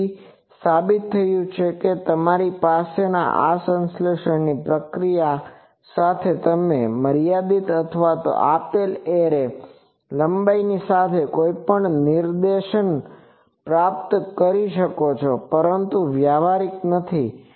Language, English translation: Gujarati, So, it has been proved that you can have with this synthesis procedure you can achieve any directivity with the a limited or given array length, but those are not practical